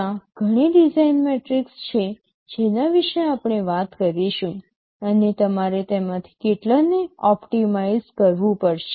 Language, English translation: Gujarati, There are several design metrics we shall be talking about, and you may have to optimize several of them